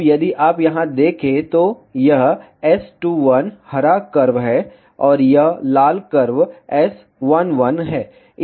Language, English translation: Hindi, Now, if you see here, this is S2, 1 green curve, and this red curve is S1, 1